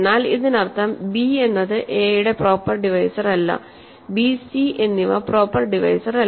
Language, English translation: Malayalam, But this means b is not a proper divisor of a, b and c are not proper divisors